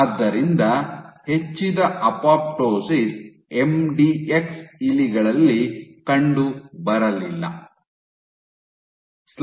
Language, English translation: Kannada, So, increased apoptosis was not seen in MDX mice